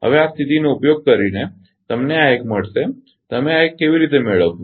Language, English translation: Gujarati, Now, using this condition that you will get this one; How you get this one